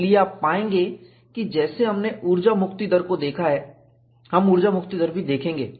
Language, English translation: Hindi, So, what you will find is, like we have looked at energy release rate, we will also look at energy release rate